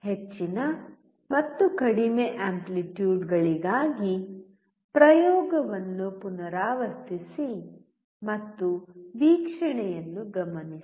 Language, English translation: Kannada, Repeat the experiment for higher and lower amplitudes and note down the observation